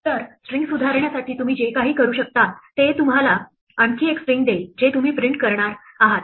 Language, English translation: Marathi, So, anything you can do to modify a string will give you another string that is what you are going to print